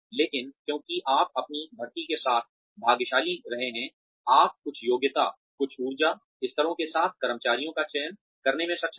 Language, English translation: Hindi, But, because you have been lucky with your hiring, you have been able to hire, to select employees with certain qualifications, certain energy levels